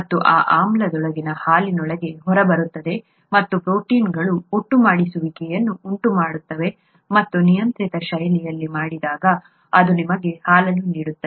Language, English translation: Kannada, And that acid gets out into milk and causes protein aggregation and that when done in a controlled fashion gives you milk